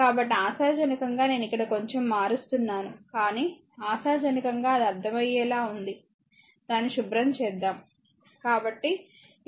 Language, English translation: Telugu, So, hopefully ah ah I mean here little bit becoming clumsy, but hopefully it is understandable to you so, let me clean it, right so, this is for series series resistor